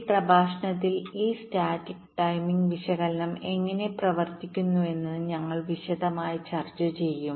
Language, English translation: Malayalam, in this lecture we shall be discussing in some detail how this static timing analysis works